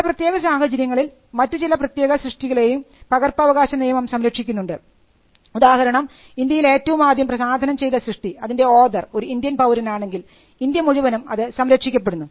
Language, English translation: Malayalam, It also protects certain works in other conditions for instant example the work was first published in India, can be protected in India and if the author is a citizen of India the work can be protected in India as well